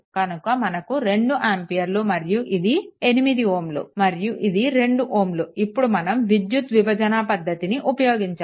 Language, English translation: Telugu, So, this is 2 ampere because of the resultant of this and this is 8 ohm this is 2 ohm after this you go to current division right